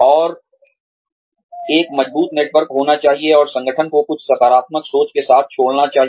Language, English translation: Hindi, And, to have a strong network and leave the organization with something very positive in mind